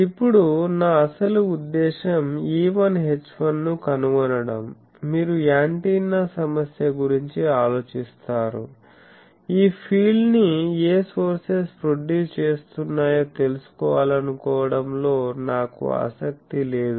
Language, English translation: Telugu, Now, my actual intension is to find E1 H1, you see think of an antenna problem; that I do not want to know what sources is producing this field etc